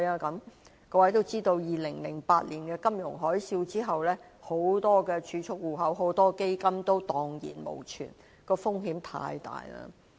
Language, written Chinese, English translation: Cantonese, 各位也知道 ，2008 年的金融海嘯後，有很多儲蓄戶口和基金都蕩然無存，風險太大了。, Members know that after the financial tsunami in 2008 many saving accounts and funds were left with nothing due to the high risks involved